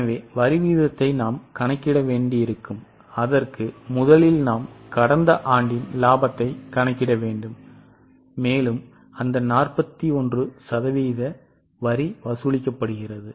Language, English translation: Tamil, For that, first of all, we will have to calculate the profit of the last year and on that 41% tax is charged